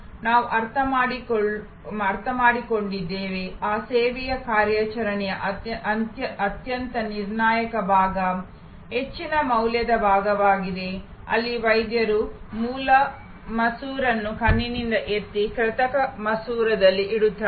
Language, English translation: Kannada, we understood, that the most critical part , the most high value part of that service operation is, where the doctor lifts the original lens out of the eye and puts in an artificial lens